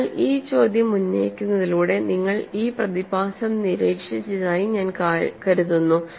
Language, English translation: Malayalam, So, by raising this question, I appreciate that you have observed this phenomenon